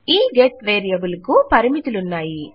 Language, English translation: Telugu, The get variable has limitations